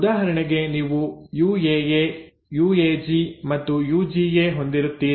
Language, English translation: Kannada, For example you will have UAA, UAG and then UGA